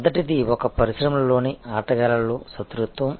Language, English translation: Telugu, So, the first one is rivalry among players within an industry